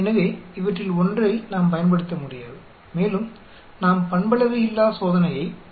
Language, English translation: Tamil, So, we cannot use any one of these and we need to resort to nonparametric test